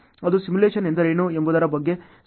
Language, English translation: Kannada, That is a definition given by researchers on what is simulation